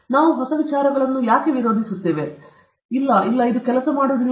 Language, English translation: Kannada, We resist new ideas; no, no, this will not work